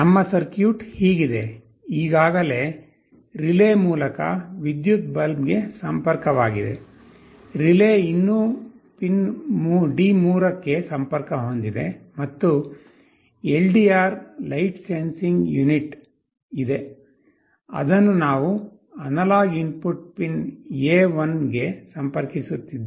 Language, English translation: Kannada, Our circuit is like this; the electric bulb through relay that connection is already, the relay is still connected to the pin D3, and there is an LDR light sensing unit, which we are connecting to analog input pin A1